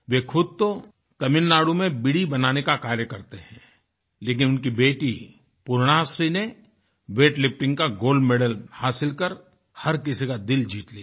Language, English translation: Hindi, Yogananthanmakesbeedis in Tamil Nadu, but his daughter Purnashree won everyone's heart by bagging the Gold Medal in Weight Lifting